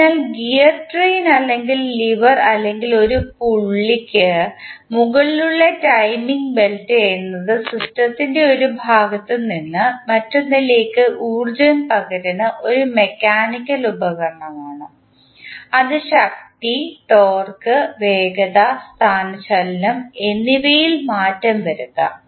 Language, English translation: Malayalam, So, gear train or lever or the timing belt over a pulley is a mechanical device that transmits energy from one part of the system to another in such a way that force, torque, speed and displacement may be altered